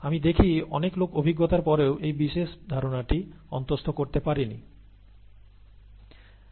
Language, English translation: Bengali, I see a lot of people even after lot of experience have not internalized this particular concept